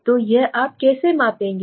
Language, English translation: Hindi, How do you develop a scale